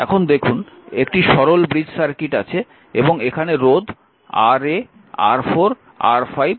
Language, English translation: Bengali, Now say simple bridge circuit is there and here you have resistance R 1, R 2, R 3, R 4, R 5, R 6